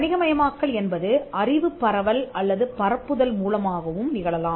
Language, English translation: Tamil, The commercialization can also happen through dissemination or diffusion of the knowledge